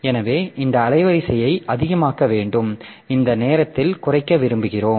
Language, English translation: Tamil, So, this bandwidth we need to make it high and this time we want to reduce